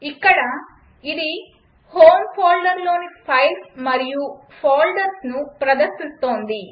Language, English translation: Telugu, So here it is displaying files and folders from home folder